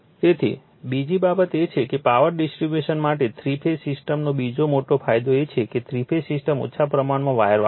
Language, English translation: Gujarati, So, another thing is that that is second major advantage of three phase system for power distribution is that the three phase system uses a lesser amount of wire right